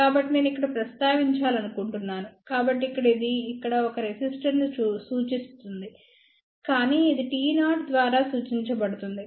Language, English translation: Telugu, So, I just want to mention here, so here it shows a resistor here, but it is represented by T 0